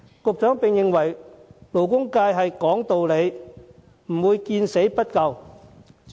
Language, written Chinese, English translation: Cantonese, 局長認為勞工界是講道理的，不會見死不救。, The Secretary believes that the labour sector is reasonable and will not do nothing when seeing someone dying